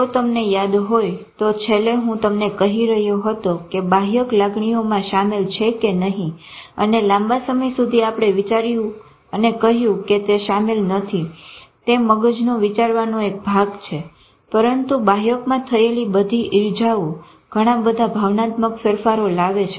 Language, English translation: Gujarati, If you remember last time I was telling you that whether the cortex is involved in emotional and all, for a long time we thought it is not involved is the thinking part of the brain, but all injuries to cortex bring a lot of emotional changes